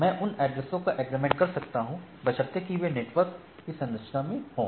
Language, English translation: Hindi, So, I can aggregate addresses provided that is the in the network structure